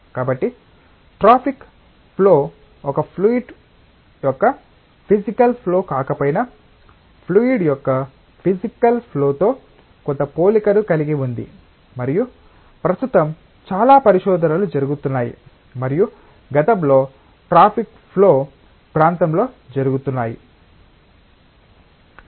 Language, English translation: Telugu, So, traffic flow although it is not the physical flow of a fluid has some resemblance with the physical flow of a fluid and there is a lot of research that is currently going on and has in the past being going on in the area of traffic flow